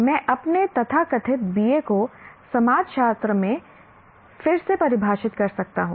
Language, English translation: Hindi, I can redefine my so called BA in sociology differently